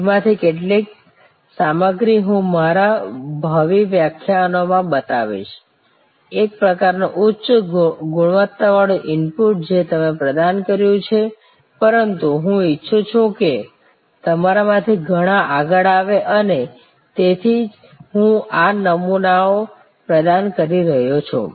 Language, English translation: Gujarati, Some of those I will be showing in my future lectures, a kind of high quality input that you have provided, but I want many of you to come forward and that is why I am providing these templates